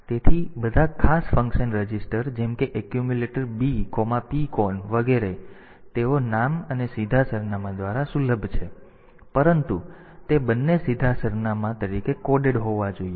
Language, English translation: Gujarati, So, all special function registers like accumulator B, PCON etcetera; they are accessible by name and direct axis, but both of them must be coded in as direct address